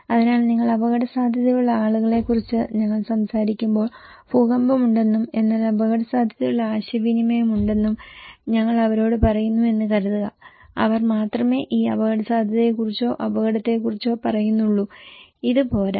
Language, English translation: Malayalam, So, when we are talking about people that you are at risk, suppose we are telling them that there is an earthquake but a risk communication, only they tell about this risk or hazard, this is not enough